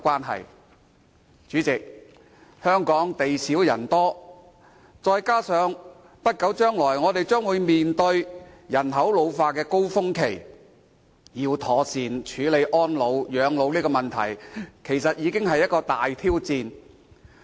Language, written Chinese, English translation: Cantonese, 代理主席，香港地少人多，再加上不久將來，我們將面對人口老化的高峰期，要妥善處理安老及養老問題，其實是一個大挑戰。, Deputy President Hong Kong is a densely populated place with scarce land resources . When this is coupled with the peak of population ageing in the near future proper handling of the issue of elderly care and support will be a great challenge to us